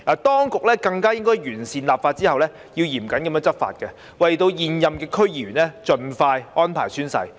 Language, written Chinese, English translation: Cantonese, 當局更應在完成立法後，嚴謹執法，為現任區議員盡快安排宣誓。, Following the enactment the authorities should strictly enforce the law and expeditiously arrange all incumbent DC members to take the oath